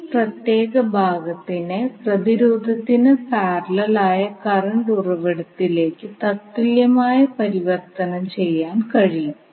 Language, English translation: Malayalam, So this particular segment you can utilize to convert into equivalent current source in parallel with resistance